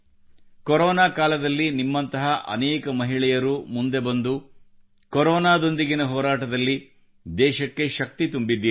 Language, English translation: Kannada, During corona times many women like you have come forward to give strength to the country to fight corona